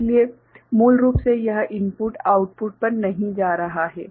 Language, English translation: Hindi, So, basically this input is not going to the output